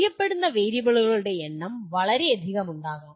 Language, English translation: Malayalam, And there may be large number of known variables